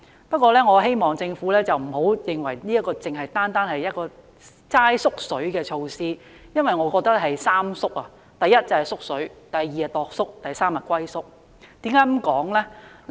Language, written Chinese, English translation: Cantonese, 不過，我希望政府不要認為這只是一項"縮水"措施，我認為它是"三縮"才對：一、是"縮水"；二、是"鐸叔"；及三、是"龜縮"。, However I hope the Government will not regard this measure as merely shrunken . I think it has actually shrunk in three aspects first the amount; second generosity; and third boldness